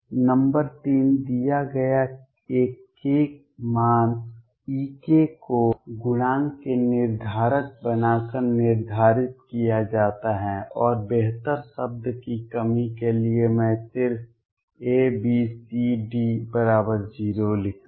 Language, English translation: Hindi, Number 3 given a k value E k is determined by making the determinant of coefficients for and for the lack of better word I will just write A B C D equal to 0